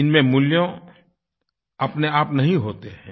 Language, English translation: Hindi, They don't possess any value in themselves